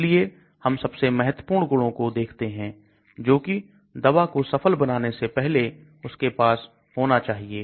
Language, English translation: Hindi, So we look at very important properties which a drug should have before it becomes successful